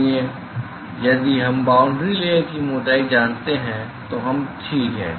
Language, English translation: Hindi, So, if we know the boundary layer thickness we are done ok